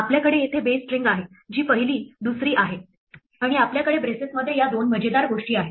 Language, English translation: Marathi, We have a base string here, which is first, second and we have these two funny things in braces